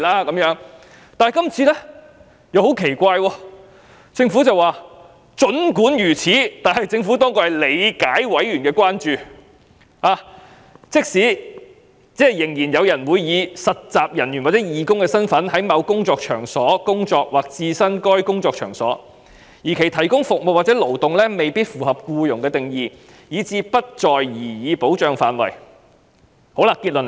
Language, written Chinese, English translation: Cantonese, 然而，今次很奇怪，政府竟說"儘管如此，政府當局理解委員的關注，即仍然有人會以實習人員或義工的身份在某工作場所工作或置身該工作場所，而其提供服務或勞動未必符合僱用的定義，以致不在擬議保障範圍之內。, However it is very strange this time . To my surprise the Government has said that notwithstanding the above the Administration appreciates members concern that there may still be persons working in or attending a workplace as interns or volunteers whose provision of service or labour may not satisfy the definition of employment and thus fall outside of the scope of the proposed protection